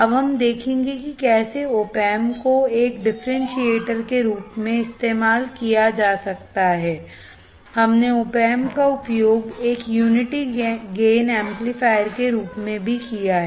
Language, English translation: Hindi, Now, we will see how the opamp can be used as a differentiator of course, we have also used opamp as a unity gain amplifier